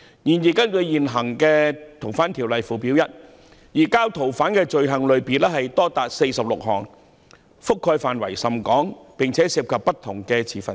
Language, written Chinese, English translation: Cantonese, 然而，根據現行《逃犯條例》附表 1， 移交逃犯的罪行類別多達46項，覆蓋範圍甚廣，而且涉及不同的持份者。, However according to Schedule 1 of the current Fugitive Offenders Ordinance there are 46 items of offences relating to surrender of fugitive offenders covering a wide range and involving different stakeholders